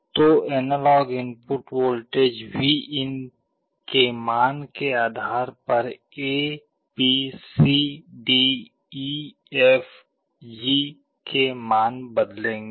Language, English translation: Hindi, So, depending on the analog input voltage Vin, A B C D E F G values will change